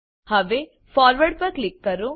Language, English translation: Gujarati, Now click on Forward